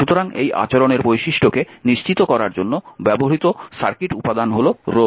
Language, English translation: Bengali, So, circuit element used to model this behavior is the resistor